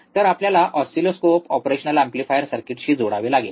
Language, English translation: Marathi, So, we have to connect the oscilloscope with the operational amplifier circuit